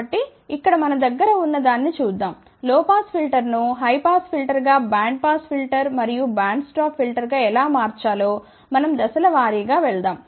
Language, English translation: Telugu, So, here let us see what we have, how to transform low pass filter to high pass filter to bandpass filter and band stop filter